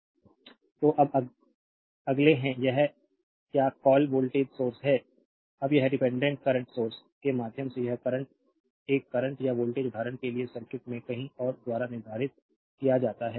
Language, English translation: Hindi, So, now the now next is the next is this is your what you call voltage source, now current flowing through a dependent current source is determined by a current or voltage elsewhere in the circuit for example